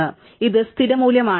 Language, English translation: Malayalam, So, this is the default value